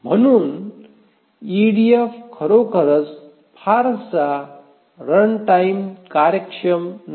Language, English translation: Marathi, Therefore we can say that EDF is not really very runtime efficient